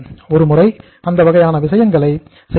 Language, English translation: Tamil, Once in a while that kind of the things can be done